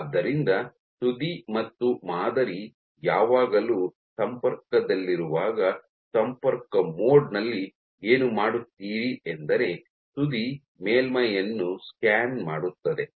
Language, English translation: Kannada, So, what you do in contact mode the tip and the sample are always in contact and what you do is in contact mode the tip scans the surface